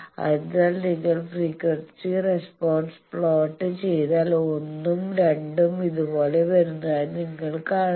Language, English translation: Malayalam, So, if you plot the frequency response you see 1 and 2 are coming like this